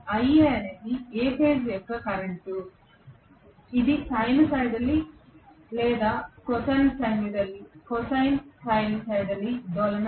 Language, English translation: Telugu, Ia is A phase current which is also sinusoidally or Cosinusoidally oscillating